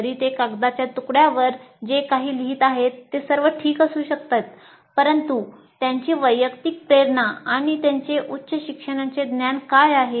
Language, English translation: Marathi, Though whatever they write on a piece of paper may be all right, but what is their personal motivation and their knowledge of higher education